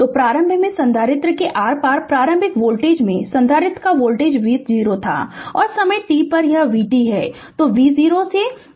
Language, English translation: Hindi, So, initially capacitor voltage across initial voltage across the capacitor was v 0; and at time t, it is v t